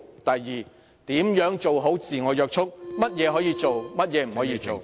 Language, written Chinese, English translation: Cantonese, 第二，如何做好自我約束......甚麼可以做，甚麼不可做？, Second how to exercise self - restraint and what should and should not be done?